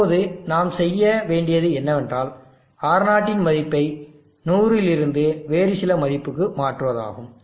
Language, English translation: Tamil, What we shall now do is change the value of R0 from 100 to some other value